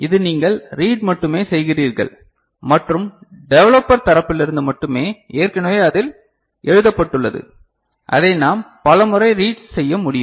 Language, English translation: Tamil, you know it is the reading operation only that you are doing and from the developer side something is has already been written into it which we can read multiple times